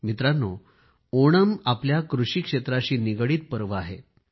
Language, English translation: Marathi, Friends, Onam is a festival linked with our agriculture